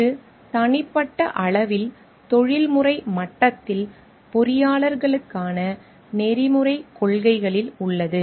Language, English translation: Tamil, It is at the ethical principles for engineers at personal level, at professional level